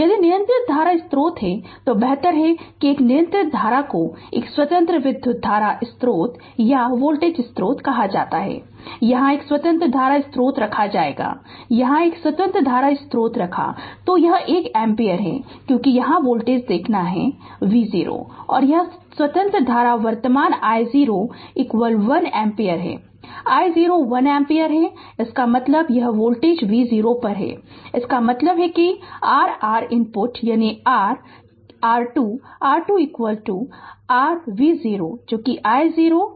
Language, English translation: Hindi, If dependent current source is there, so better you put one dependent you depend what you call one independent current source or voltage source, here will put one independent current source right here say here you can put one independent current source, its say it is 1 ampere because right and you have to see the voltage here V 0 and this independent current source current i 0 is equal to 1 ampere say i 0 is equal to 1 ampere; that means, this voltage is be on V 0; that means, your R input, that is your R Thevenin R Thevenin is equal to your V 0 by i 0 we will take i 0 is equal to 1 ampere say